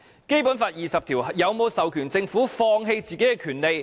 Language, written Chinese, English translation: Cantonese, 《基本法》第二十條有否授權政府放棄自己的權利？, Does Article 20 of the Basic Law empower the Government to give up its own rights?